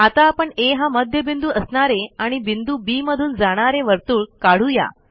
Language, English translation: Marathi, Let us now construct a circle with center A and which passes through point B